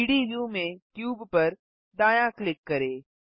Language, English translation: Hindi, Right click the cube in the 3D view